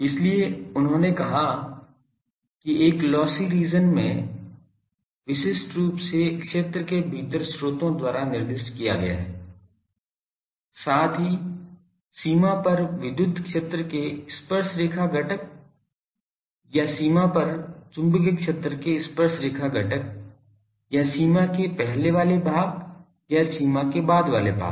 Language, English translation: Hindi, So, what he said is the field in a lossy region is uniquely specified by the sources within the region, plus the tangential components of the electric field over the boundary or the tangential component of the magnetic fields over the boundary or the former over part of the boundary and the latter over part of the latter over rest of the boundary